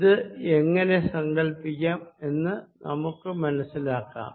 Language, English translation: Malayalam, let us understand how we can visualize this